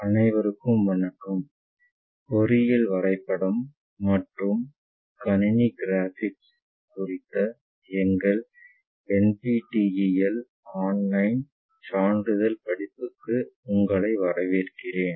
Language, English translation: Tamil, Hello all welcome to our NPTEL online certification courses on Engineering Drawing and Computer Graphics